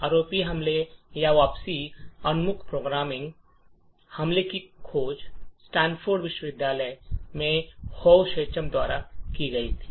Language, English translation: Hindi, So, the ROP attack or return oriented programming attack was discovered by Hovav Shacham in Stanford University